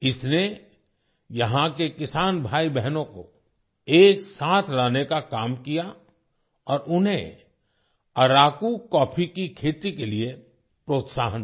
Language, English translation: Hindi, It brought together the farmer brothers and sisters here and encouraged them to cultivate Araku coffee